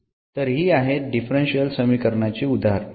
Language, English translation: Marathi, So, here these are the examples of the differential equations